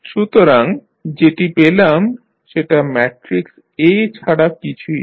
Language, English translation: Bengali, So, this is nothing but the matrix A we have got